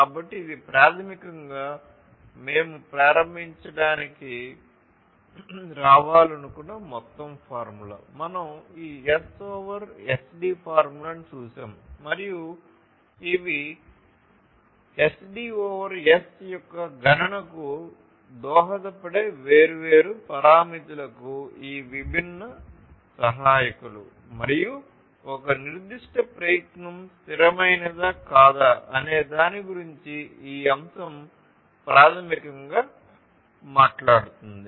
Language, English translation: Telugu, So, this is basically the overall formula that we wanted to arrive at to start with we have looked at this S over SD formula and these are these different contributors to the different parameters that contribute to this computation of S over SD and this factor basically talks about whether a particular effort is sustainable or not